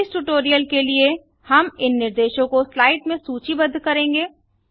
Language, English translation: Hindi, we shall list these instructions in slides